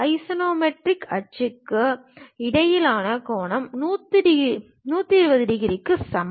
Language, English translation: Tamil, The angle between axonometric axis equals to 120 degrees